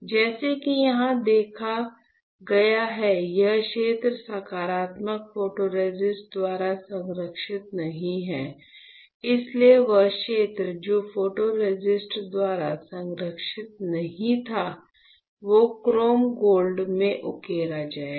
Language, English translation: Hindi, This area like you have seen here is not protected by positive photoresistor; so the area which was not protected by photoresist that will get etched in the chrome gold etchant, correct easy